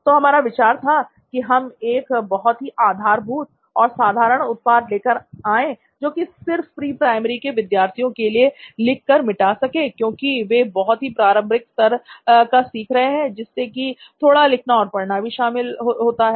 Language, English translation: Hindi, So our idea was to bring out this basic product where we can actually write and erase only for a pre primary students where learning is a very initial at a very initial stage basically, they still learning to write and all